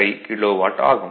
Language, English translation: Tamil, 085 kilo watt